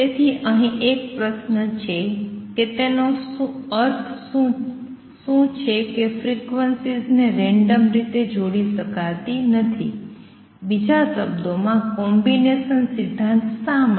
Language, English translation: Gujarati, So, question so, let me there is a question here what does it mean that frequencies cannot be combined in a random manner, in other words why the combination principle